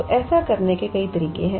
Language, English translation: Hindi, So, there are several ways to do this